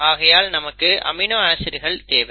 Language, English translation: Tamil, So you need the amino acids